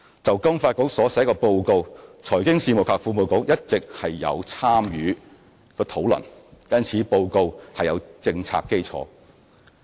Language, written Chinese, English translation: Cantonese, 就金發局所寫的報告，財經事務及庫務局一直有參與討論，故此報告有政策基礎。, Regarding the reports prepared by FSDC the Financial Services and the Treasury Bureau has all along participated in the relevant discussions thus ensuring the policy basis of the reports released